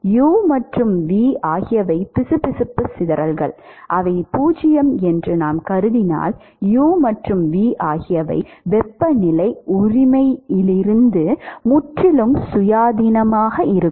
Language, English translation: Tamil, u and v if we assume that the viscous dissipation is 0 then u and v are completely independent of the temperature right